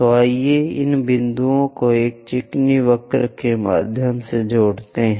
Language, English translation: Hindi, So, let us join these points through a smooth curve